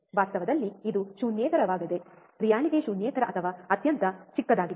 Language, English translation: Kannada, In reality, it is non zero is reality is non zero or extremely small